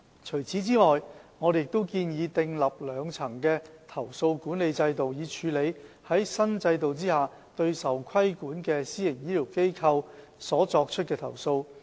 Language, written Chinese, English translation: Cantonese, 除此之外，我們亦建議訂立兩層的投訴管理制度，以處理在新制度下對受規管的私營醫療機構所作出的投訴。, Moreover we propose to establish a two - tier complaints management system to handle complaints against the PHFs to be regulated under the new regime